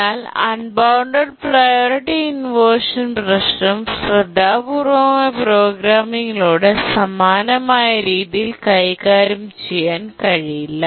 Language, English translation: Malayalam, But we will see that the unbounded priority inversion problem cannot be handled in similar way through careful programming